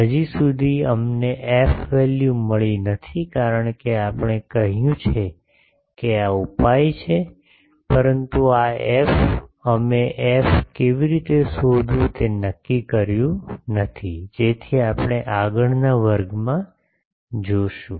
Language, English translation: Gujarati, Till now we have not got the f value, because we have said the solution is this, but this f we have not determined how to find f, so that we will see in the next class